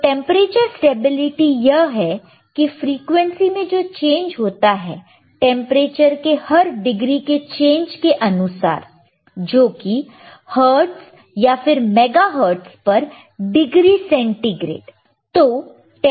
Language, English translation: Hindi, , temperature stability cChange in the frequency per degree change in the temperature that is hertz or mega hertz per degree centigrade,